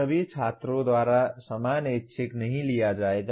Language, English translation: Hindi, Same elective will not be taken by all students